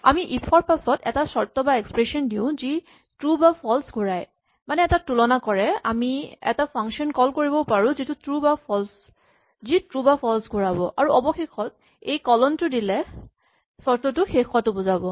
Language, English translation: Assamese, We have 'if', then we have a conditional expression which returns a value true or false typically a comparison, but it could also be invoking a function which returns true or false for example, and we have this colon which indicates the end of the condition